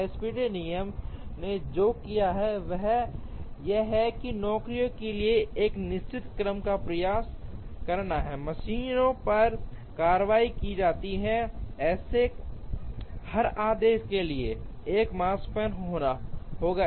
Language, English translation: Hindi, What SPT rule did is to try and find out a certain order in which the jobs are going to be processed on the machines, for every such given order there will be an makespan